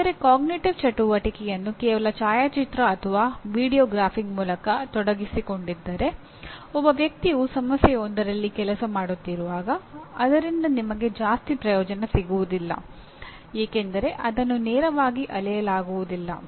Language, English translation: Kannada, But where cognitive activity is involved by merely photographing, by video graphing when a person is working on a problem does not get you very much because it is not directly measurable